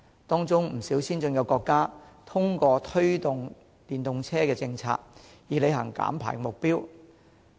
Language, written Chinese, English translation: Cantonese, 當中，有不少先進國家通過推動電動車的政策，以履行減排目標。, Among the signatories many developed countries have implemented policies to promote EVs in order to achieve the goal of emission reduction